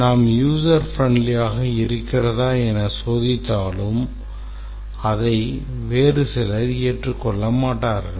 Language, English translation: Tamil, Even if we test for user friendly, then it may not be accepted by all